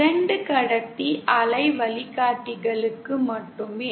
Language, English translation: Tamil, Only for 2 conductor waveguides